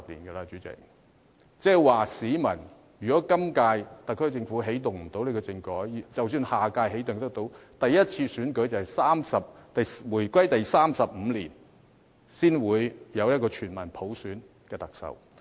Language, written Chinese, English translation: Cantonese, 代理主席，即是說如果本屆特區政府無法起動政改，即使可在下一屆起動，首次選舉也要在回歸第三十五年，才可產生一位由全民普選的特首。, Deputy President that is to say if the current - term SAR Government cannot kick start the constitutional reform and even if the next SAR Government will do so the first election of the Chief Executive by universal suffrage would have to be held on the 35 year after the reunification